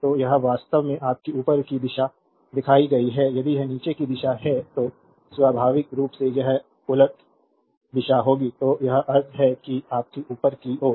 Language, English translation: Hindi, So, this is actually your upward direction is shown, if it is downward direction then naturally it will be reversal direction will be in other way so, this is the meaning that your upward